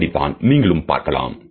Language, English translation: Tamil, That is how you can see it